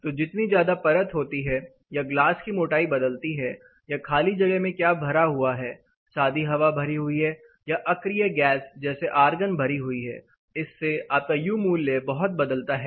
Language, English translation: Hindi, So, the more number of layers are the thickness of glass itself varies or the type of infill whether it is air or a inert gas like argon filled then your U value considerably reduces